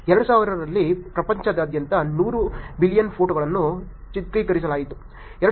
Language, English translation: Kannada, In the year 2000, 100 billion photos were shot worldwide